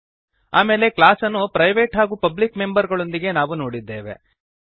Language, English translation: Kannada, Then we have seen class with the private and public members